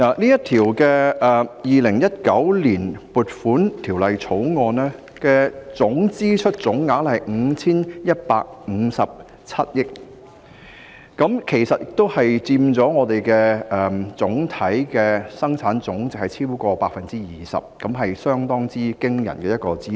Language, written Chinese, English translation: Cantonese, 《2019年撥款條例草案》的支出總額是 5,157 億元，佔本地生產總值超過 20%， 是相當驚人的支出。, The expenditure proposed in the Appropriation Bill 2019 totals 515.7 billion accounting for over 20 % of the Gross Domestic Product